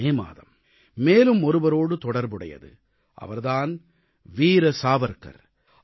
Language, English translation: Tamil, Memories of this month are also linked with Veer Savarkar